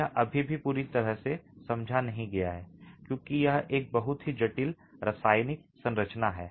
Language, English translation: Hindi, It's still not fully understood because it's a very complex chemical composition